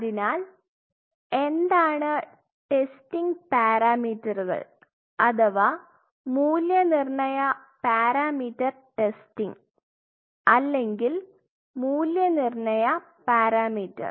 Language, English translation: Malayalam, So, what are the testing parameters or evaluation parameter testing or evaluation parameter; here are the evolution parameters